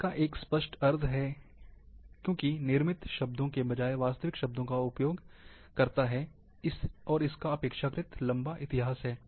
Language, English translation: Hindi, It is a clear meaning, uses real words, rather than manufactured words, and has relatively long history